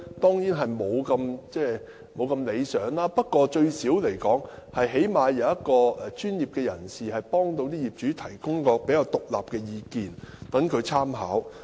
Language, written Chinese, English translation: Cantonese, 成效當然不會太理想，但最低限度有專業人士幫助業主，提供比較獨立的意見，作為參考。, Naturally the result will not be satisfactory but at least professionals are there to help owners by providing relatively independent opinions for their reference